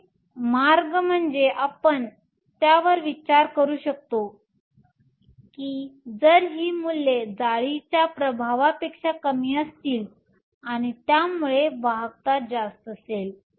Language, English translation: Marathi, One way we can think about it is that if these values are lower than the influence of the lattice is less and so you have higher conductivity